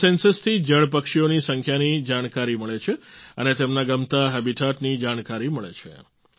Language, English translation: Gujarati, This Census reveals the population of water birds and also about their favorite Habitat